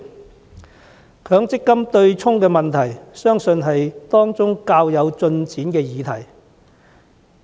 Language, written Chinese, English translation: Cantonese, 取消強積金對沖機制相信是當中較有進展的議題。, Among these issues abolishing the MPF offsetting mechanism is probably the one that has made the most ground